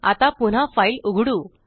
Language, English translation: Marathi, Now lets re open the file